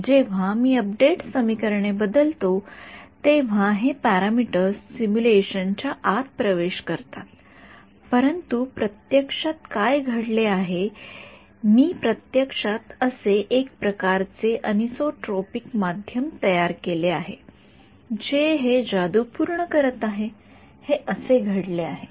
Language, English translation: Marathi, When I modify the update equations these parameters enter inside the simulation, but physically what has happened physically I have actually created some kind of a anisotropic medium which is accomplishing this magic that is what has happened ok